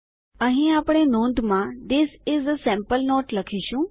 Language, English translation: Gujarati, Here we will type in a note This is a sample note